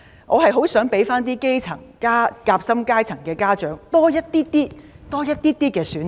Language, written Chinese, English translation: Cantonese, 我很希望讓基層、夾心階層家長多一些選擇。, I very much hope that grass - roots and sandwiched - class parents can have more choices